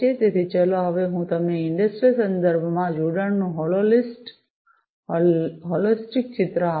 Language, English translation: Gujarati, So, let me now give you a holistic picture of connectivity in the industrial context